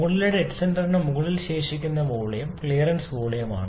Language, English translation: Malayalam, The volume left on top of the top dead centre is the clearance volume